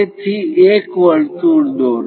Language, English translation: Gujarati, So, draw a circle